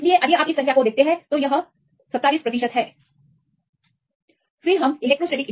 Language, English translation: Hindi, So, if you see these number; this is 27 percent; that is also reasonable